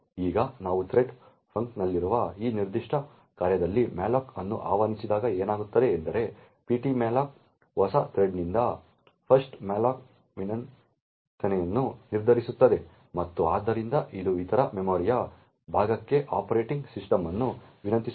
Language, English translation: Kannada, Now when we invoke malloc in this particular function that is in the thread function what would happen is that ptmalloc would determine that the 1st malloc request from the new thread and therefore it would request the operating system for other chunk of memory